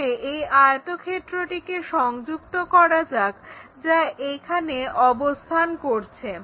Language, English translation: Bengali, So, let us join the rectangle which is resting in this location